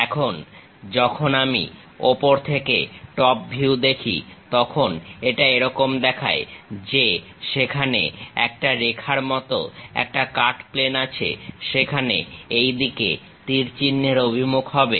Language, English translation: Bengali, And, when I am looking from top view it looks like there is a cut plane like a line, there will be arrow direction in this way